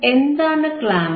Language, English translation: Malayalam, What is clamper